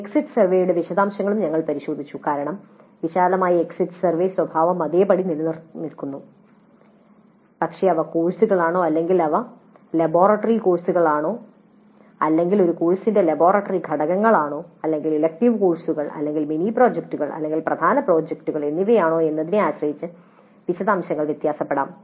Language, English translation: Malayalam, Then we also looked at the details of the exit survey because broadly the exit survey nature remains same but depending upon whether they are core courses or whether the laboratory courses or laboratory components of a course or elective courses or mini projects or major projects, the details can vary